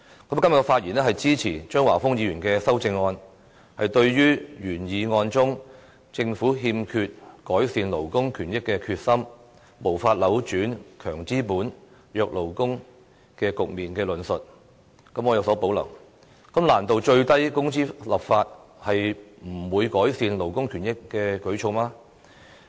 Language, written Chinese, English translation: Cantonese, 我今天發言支持張華峰議員的修正案，對於原議案中"政府欠缺改善勞工權益的決心，無法扭轉'強資金、弱勞工'的局面"的論述，我有所保留，難道最低工資立法是無法改善勞工權益的舉措嗎？, In my speech today I wish to support Mr Christopher CHEUNGs amendment . I have reservations about these words in the original motion the Government lacks determination to improve labour rights and interests and is unable to change the situation of strong capitalists and weak workers . Isnt the enactment of legislation on standard working hours already a measure to improve labour rights and interests?